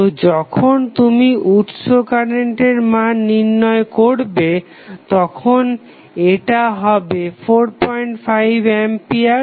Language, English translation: Bengali, So, when you calculate the value of source current it will become 4